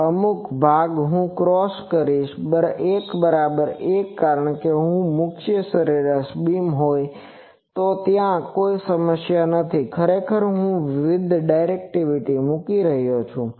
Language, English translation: Gujarati, So, certain portion I will cross x is equal to 1 because, if the main mean beam is there then there is no problem I am actually putting more directivity